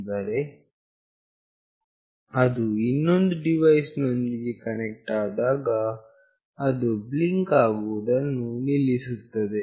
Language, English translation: Kannada, But, when it is connected with another device, then it will stop blinking